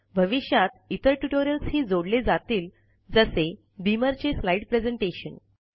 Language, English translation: Marathi, There will also be other tutorial in the near future, for example, beamer for slide presentation